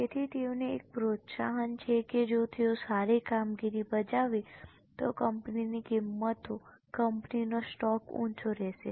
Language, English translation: Gujarati, So, they have an incentive that if they are performing well, the prices of the company will, the stock of the company will be high